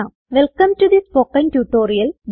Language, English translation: Malayalam, Welcome to the Spoken Tutorial